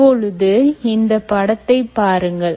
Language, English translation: Tamil, right now, you see the picture